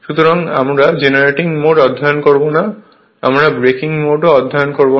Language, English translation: Bengali, So, we will not study um generating mode, we will not study breaking mode also only this part